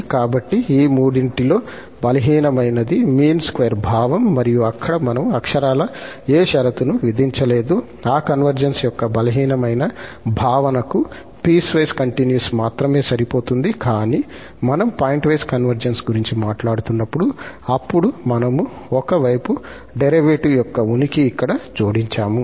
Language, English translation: Telugu, So, for the weakest among these three was the mean square sense and there we did not literally impose any condition, only that piecewise continuity is enough for that weaker notion of convergence, but when we are talking about the pointwise convergence, then we have added here the existence of one sided derivative